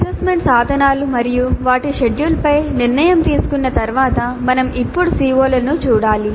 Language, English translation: Telugu, After deciding on the assessment instruments and their schedule we must now look at the COs